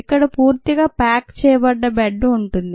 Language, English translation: Telugu, you have a bed here which is packed